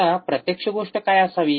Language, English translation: Marathi, Now what should be the actual thing